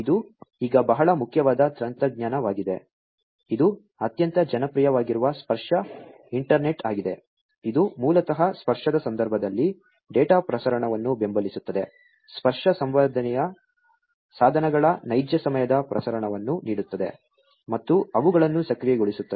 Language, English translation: Kannada, This is very important now a technology, which has become very popular is the tactile internet, which basically supports data transmission in the context of touch, offering real time transmission of touch sense devices and actuating them, right